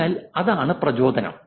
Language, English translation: Malayalam, So that's the motivation